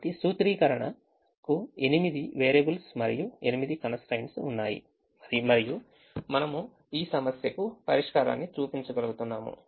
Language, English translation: Telugu, so the formulation had eight variables and eight constraints and we are able to show the solution to this problem